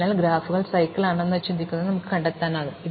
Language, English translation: Malayalam, So, we can find out things like whether a graph has a cycle